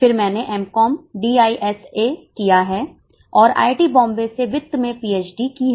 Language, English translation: Hindi, Then I have done MCOM, DISA and I have done PhD in finance from IIT Bombay